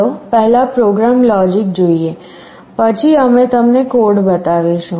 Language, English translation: Gujarati, Let us look at the program logic first, then we shall be showing you the code